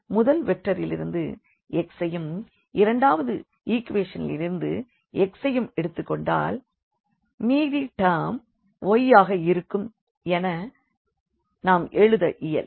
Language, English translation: Tamil, So, we can also write down the system as like the first vector I will take x from this and also x from here and in the second equation the rest the y term